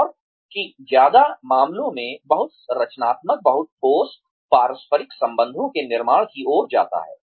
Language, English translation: Hindi, And, that in most cases, leads to the building of, very constructive, very solid, interpersonal relationships